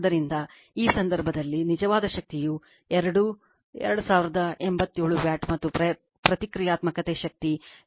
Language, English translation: Kannada, So, in this case, the real power supplied is that two 2087 watt, and the reactive power is 834